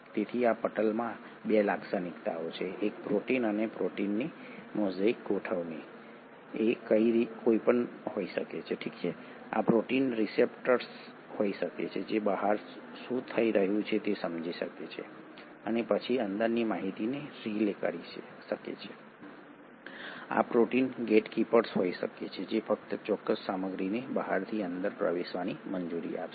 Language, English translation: Gujarati, So there are 2 features to these membranes; one, a mosaic arrangement of proteins and these proteins can be anything, these proteins can be the receptors which can sense what is happening outside and then relay the information inside, these proteins can be the gatekeepers which will allow only specific material to enter from outside to inside